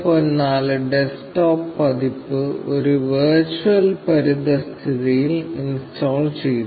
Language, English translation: Malayalam, 04 desktop edition in a virtual environment